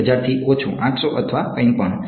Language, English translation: Gujarati, Less than a 1000 right, 800 or whatever